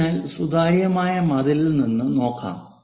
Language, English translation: Malayalam, So, one can really look at from transparent wall